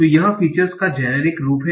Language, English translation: Hindi, So this is the generic form of the features